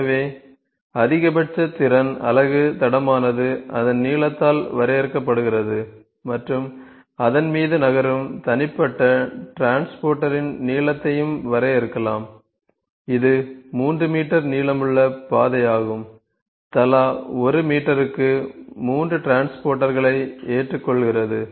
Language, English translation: Tamil, So, the maximum capacity unit track is defined by its length and the lengths on the individual transporter moving on it can also be defined that is the track that is 3 meters long, accepts 3 transporters of 1 meter each